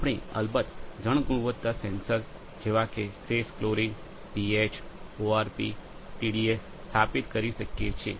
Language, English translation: Gujarati, We can of course, install water quality sensor like residual chlorine, PH, ORP, TDS